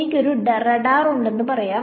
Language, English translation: Malayalam, Let us say I have a radar ok